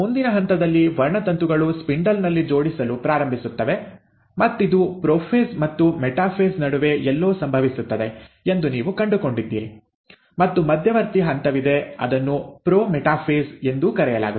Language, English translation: Kannada, At the next step, you find that the chromosomes start arranging in the spindle and this happens somewhere in between prophase and metaphase, and there is an intermediary step which is also called as the pro metaphase